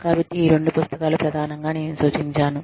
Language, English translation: Telugu, So, these are the two books, that i have referred to, primarily